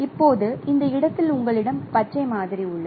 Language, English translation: Tamil, Now in this location you have the green sample that is available